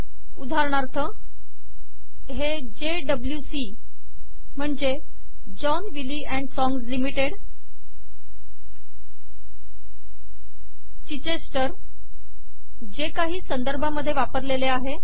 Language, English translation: Marathi, For example, the string JWC, denotes John Wiley and Songs Limited, Chichester which has been used in some references